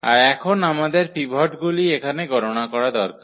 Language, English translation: Bengali, And what is now we need to count the pivots here